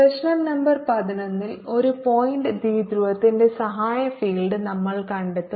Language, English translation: Malayalam, in problem number eleven we will find out the auxiliary field h of a point dipole